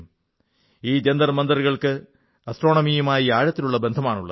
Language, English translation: Malayalam, And these observatories have a deep bond with astronomy